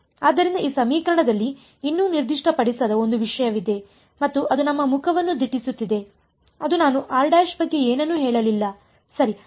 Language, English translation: Kannada, So, in these equation there is one thing that is yet not been specified and that is staring at us in the face which is I did not say anything about r prime right